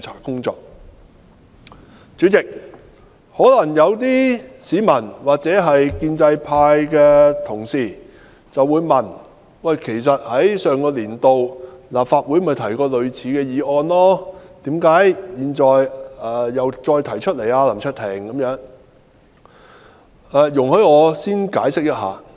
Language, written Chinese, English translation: Cantonese, 代理主席，有市民或建制派的同事或會質疑，類似的議案曾於立法會上一年度的會議提出，何以現時再次提出，所以容許我先略作解釋。, Deputy President some members of the public or colleagues from the pro - establishment camp may query why this motion is proposed again when similar motions were proposed in the previous session of the Legislative Council . Please allow me to explain it briefly